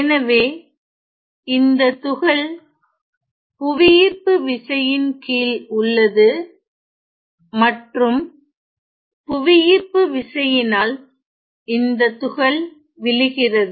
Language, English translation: Tamil, So, the particle is under the action of gravity and it is going to and due to the action of gravity it is going to fall ok